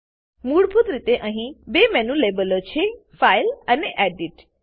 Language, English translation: Gujarati, By default it already has 2 Menu labels: File and Edit